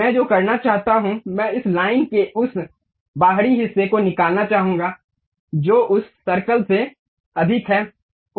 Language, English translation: Hindi, What I want to do is I would like to remove this outside part of this line which is exceeding that circle